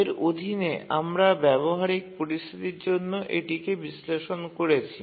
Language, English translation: Bengali, So under that we can do an analysis for a practical situation